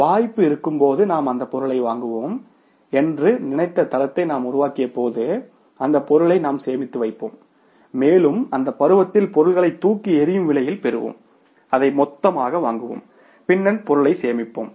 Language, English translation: Tamil, When we developed the standard we thought that we will procure the material when there is a season and we will store that material, we will get the material during the season at the throw way price, we will buy that in the bulk and then we will store the material